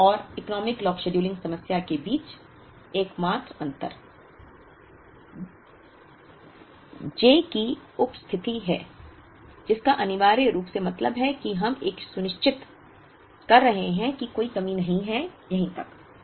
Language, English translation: Hindi, The only difference between this and the Economic Lot scheduling problem is the presence of I j which essentially means that we are ensuring that there is no shortage, right up to here